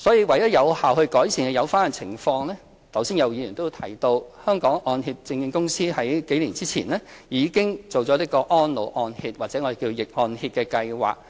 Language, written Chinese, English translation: Cantonese, 為有效地改善有關情況，剛才有議員亦提到，香港按揭證券有限公司在數年前已推行安老按揭，即逆按揭計劃。, To effectively rectify the situation The Hong Kong Mortgage Corporation Limited HKMC rolled out the Reverse Mortgage Programme a few years ago and Members have mentioned this too